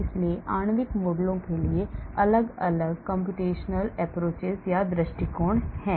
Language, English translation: Hindi, so there are different computational approaches for molecular modeling